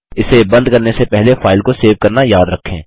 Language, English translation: Hindi, Remember to save the file before you close it